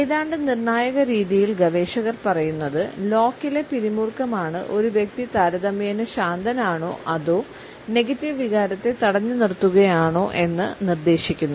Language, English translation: Malayalam, Researchers tell us almost in a conclusive fashion that it is the tension in the lock which suggest whether a person is relatively relaxed or is holding back a negative emotion